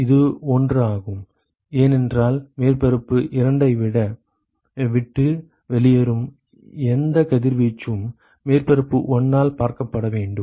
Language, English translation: Tamil, It is it is 1 because whatever radiation that leaves surface 2, it has to be seen by surface 1